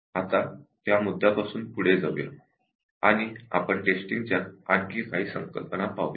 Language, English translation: Marathi, Now will continue from that point we will look at few more basic concepts in Testing